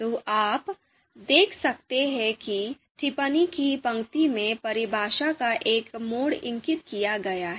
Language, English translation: Hindi, So you can see here in the commented line a mode of definition is indicated